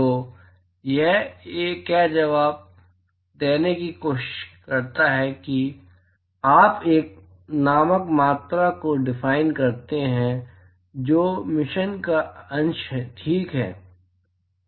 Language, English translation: Hindi, So, what it tries to answer is you define a quantity called F which is the fraction of emission ok